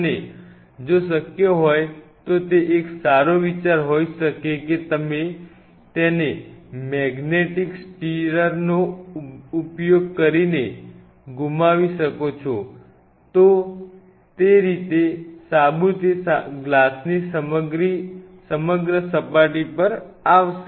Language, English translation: Gujarati, And if possible if you can swirl it using a magnetic stirrer that may be a better idea that way the soap will kind of you know will be all over the surface of the glass